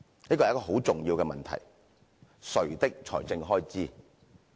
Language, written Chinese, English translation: Cantonese, "這是很重要的問題，誰的財政開支？, Such a question is so important . Whose financial expenditure is it?